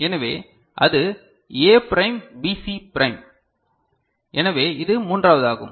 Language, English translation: Tamil, So, that is A prime B C prime ok, so this is the third one, right